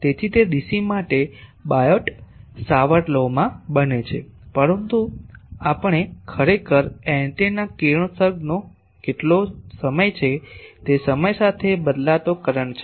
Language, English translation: Gujarati, So, it boils down to Biot Savart Law for dc, but what time we are actually antennas radiation is a time varying current